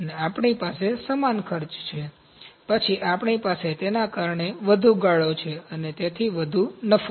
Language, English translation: Gujarati, We have same costs almost same costs, then we have higher margins because of that, and therefore higher profits